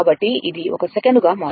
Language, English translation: Telugu, So, it is becoming 1 second